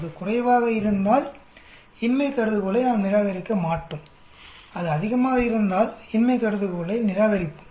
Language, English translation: Tamil, If it is less then we will not reject the null hypothesis, if it is more then we will reject the null hypothesis